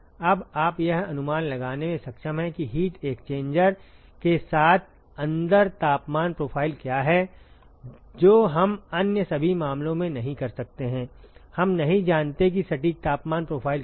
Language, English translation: Hindi, You are able to now predict what is the temperature profile inside the heat exchanger; which we cannot do on all the other cases, we do not know what is the exact temperature profile